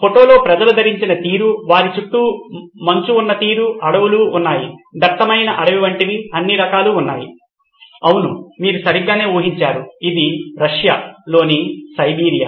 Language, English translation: Telugu, Quite easy actually given the way the people are dressed in the photo and the way the snow is all around them, there are forests, there are all sorts of like a thick dense forest, yeah that’s right you guessed it right, it’s Siberia in Russia